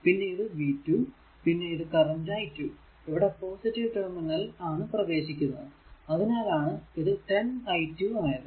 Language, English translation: Malayalam, Similarly, if you take v 2, the i 2 actually entering in to the positive terminal so, v 2 will be 6 i 2